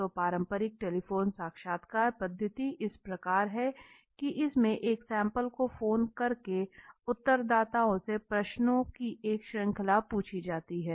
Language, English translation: Hindi, So the traditional telephone interview method this is how it involves phoning a sample of respondents and asking them a series of questions right